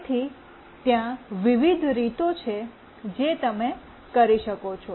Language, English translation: Gujarati, So, there are variety of ways you can do it